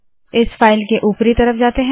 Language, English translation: Hindi, Lets go to the top of this file